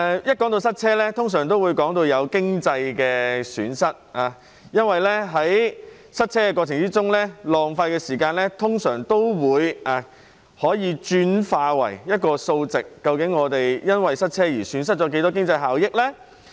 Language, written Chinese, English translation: Cantonese, 當談到塞車時，通常會提到經濟損失，因為在塞車過程中浪費的時間，通常可轉化為一個數值，得知我們因為塞車而損失的經濟效益。, When talking about traffic jams we usually mention economic losses because the time wasted in the traffic jam can usually be converted into a numerical value for us to know the economic benefits thus lost